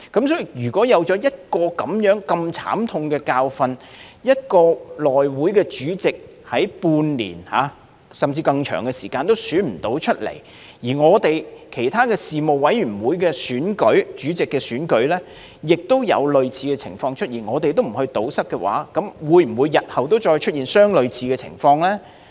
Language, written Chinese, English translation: Cantonese, 所以，經歷了如此慘痛的教訓，內會主席經半年，甚至更長時間也無法選出，其他事務委員會選舉主席時，也有類似情況出現，而若我們不加以堵塞，日後會否再出現相類似情況呢？, So such a bitter lesson from the failure to return the HC Chairman despite the passage of half a year or even a longer time has aroused our concern about the possibility of similar incidents in the future if we do not plug the loopholes that may give rise to a similar scenario in the chairman election of other Panels